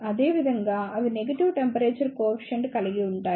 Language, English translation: Telugu, Similarly, they have the negative temperature coefficient